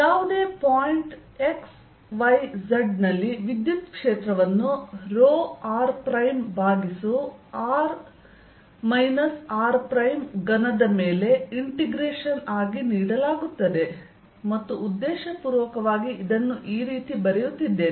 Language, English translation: Kannada, electric field e at a point x, y, z is given as integration row r prime over r minus r prime cubed, and deliberately writing it like this so that you get used to it: d v prime